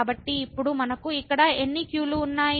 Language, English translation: Telugu, So, now how many ’s we have here